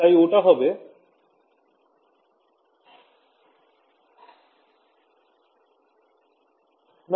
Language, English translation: Bengali, So, that should be